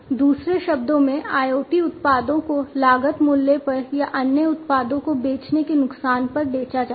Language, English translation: Hindi, In other words, IoT products are sold at the cost price or at a loss to sell other products